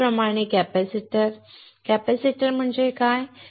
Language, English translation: Marathi, Similarly, capacitors; what does capacitor means